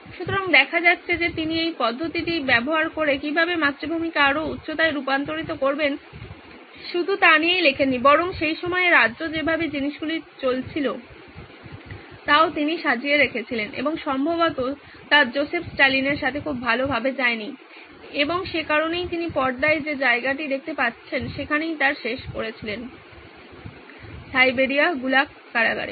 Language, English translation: Bengali, So it turns out that he not only wrote about how to transform the motherland into greater heights by using this method but in the way he had also sort of put down the way things were run in the state at that time and that probably didn’t go very well with Joseph Stalin and that’s why he ended up in the place that you see on the screen, Siberia Gulag prison